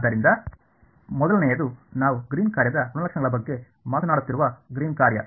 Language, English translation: Kannada, So, the first is the Green’s function we are talking about properties of the Green’s function